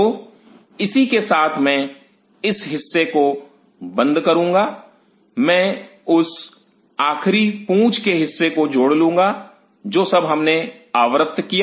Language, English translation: Hindi, So, with this I will close in on to this part I will add that last tail piece what all we have covered